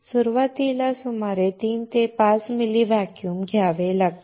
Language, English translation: Marathi, About 3 to 5 ml volume has to be taken initially